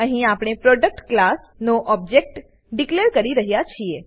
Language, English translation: Gujarati, Here we are declaring an object of the Product class